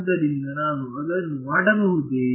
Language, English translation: Kannada, So, can I do that